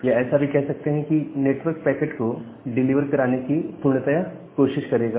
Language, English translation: Hindi, Or the network will try its best to deliver the packet to the destination